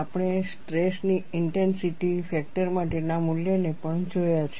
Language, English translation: Gujarati, We have also looked at the value for stress intensity factor